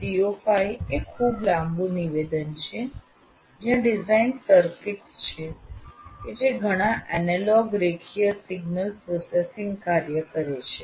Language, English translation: Gujarati, O5 is a much longer statement where design circuits that perform a whole bunch of analog linear signal processing functions